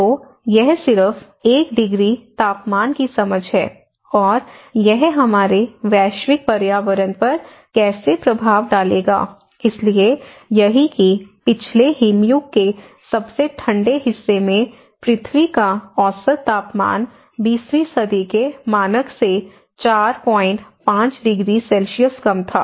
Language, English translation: Hindi, So, this is just an understanding of 1 degree temperature and how it will have an impact on our global environment, so that is what in the coldest part of the last ice age, earth's average temperature was 4